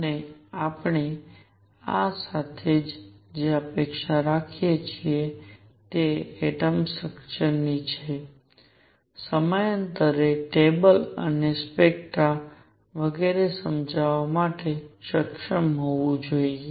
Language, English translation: Gujarati, And what we anticipate with this we should be able to explain atomic structure, periodic table and spectra of atoms and so on